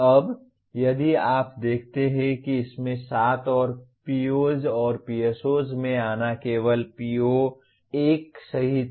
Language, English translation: Hindi, Now, here if you look at there are 7 in this and coming to POs and PSOs is only including PO1